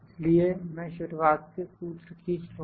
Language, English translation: Hindi, So, I will just drag the formula from the beginning